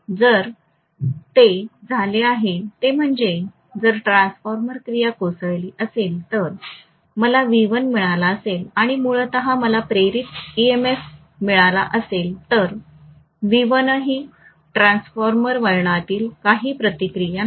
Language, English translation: Marathi, So what has happened is, if the transformer action collapses, if I have got V1 and originally I had got an induced emf of e1, V1 was approximately equal to e1 assuming that the resistance is hardly anything within the transformer winding